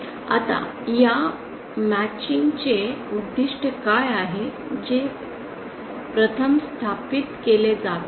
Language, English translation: Marathi, Now, what is the goal of this matching that is the first thing that has to be established